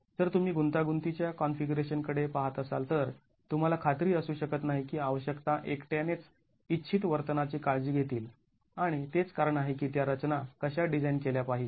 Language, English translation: Marathi, If you were to look at complex configurations you cannot be sure that these requirements alone will take care of desirable behavior and that is the reason why those structures have to be designed